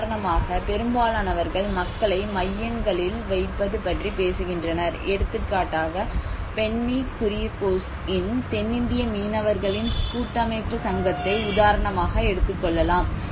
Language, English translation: Tamil, Like, most of them they are talking about putting people in the centre, like we can see in some of the examples where the south Indian fishermen federation societies, Benny Kuriakose